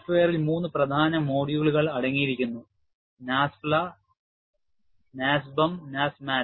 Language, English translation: Malayalam, The software contains three main modules; NASFLA, NASBEM and NASMAT